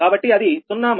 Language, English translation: Telugu, so it is zero